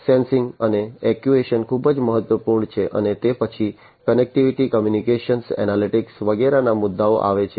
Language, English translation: Gujarati, Sensing and actuation is very important and then comes issues of connectivity, communication, analytics, and so on